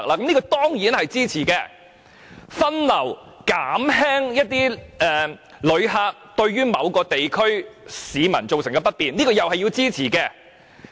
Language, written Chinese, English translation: Cantonese, "藉着更好的分流減輕旅客給市民帶來的不便"，這也是要支持的。, And we must also support the suggestion to alleviate the inconvenience caused by visitors to members of the public through better diversion